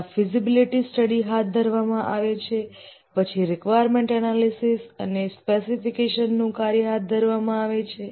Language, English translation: Gujarati, First the feasibility study is undertaken, then requirements analysis and specification work is undertaken